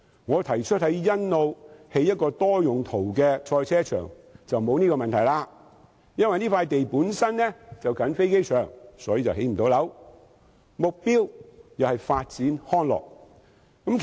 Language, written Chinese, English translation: Cantonese, 我提出在欣澳興建一個多用途賽車場，便沒有這個問題，因為該片土地本身鄰近機場，無法興建房屋，目標是發展康樂。, My proposal of constructing a multi - purpose motor racing circuit at Sunny Bay does not have such a problem . Since that land lot is near the airport no housing units can be constructed . The purpose is recreational development